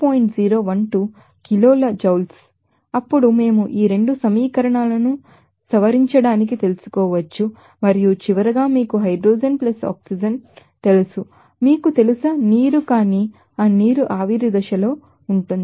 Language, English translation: Telugu, 012 kilo Ioules per gram mole, then we can you know edit up these 2 equations and finally, we can have this you know hydrogen + oxygen that will be due to, you know, water, but that water will be in the vapor stage